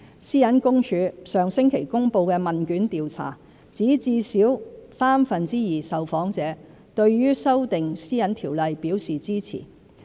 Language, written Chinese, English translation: Cantonese, 私隱公署上星期公布的問卷調查，指至少三分之二受訪者對修訂《個人資料條例》表示支持。, The results of the questionnaire survey released by the PCPD Office last week show that at least two thirds of the respondents supported the amendment of PDPO